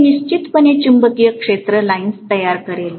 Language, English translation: Marathi, This will definitely create the magnetic field lines